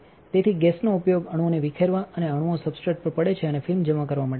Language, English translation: Gujarati, So, the gas is used to dislodge the atoms and atoms fall onto the substrate and deposit a film